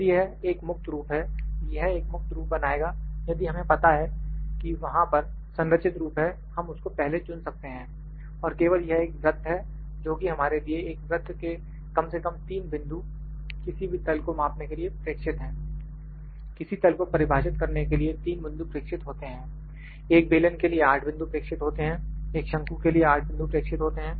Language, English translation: Hindi, If it is a freeform it will create a freeform if we know that the there is a structured form we can select it before and only that this is a circle that we are going to measure of a circle 3 points are minimum to are required to measure for a plane, 3 points are required to define the plane, for a cylinder 8 points are required, for a cone 8 points are required